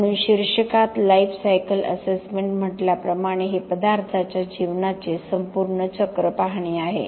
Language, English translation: Marathi, So as the tittle says lifecycle assessment it is to look at the whole cycle of the life of a material